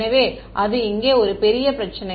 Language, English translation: Tamil, So, that is that is one huge problem over here